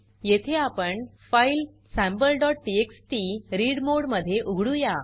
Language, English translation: Marathi, Here, we open the file Sample.txt in read mode